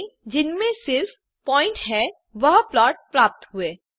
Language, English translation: Hindi, We get a plot with only points